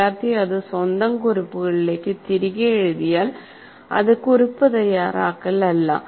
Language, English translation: Malayalam, If you write that back into your own notes, that doesn't become note making